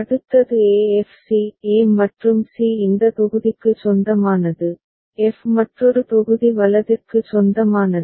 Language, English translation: Tamil, Next is e f c; e and c belong to this block, f belongs to another block right